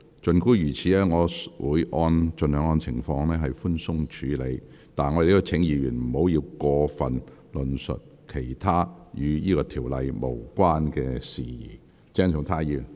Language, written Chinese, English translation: Cantonese, 儘管如此，我會按情況盡量寬鬆處理，但亦請議員不要過多論述與《條例草案》無關的其他事宜。, Nevertheless I will adopt a lenient approach if the situation so warrants but Members are still advised to refrain from making excessive arguments on matters unrelated to the Bill